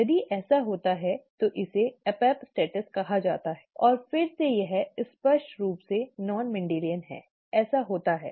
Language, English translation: Hindi, If that happens then it is called epistasis and again this is clearly non Mendelian, this happens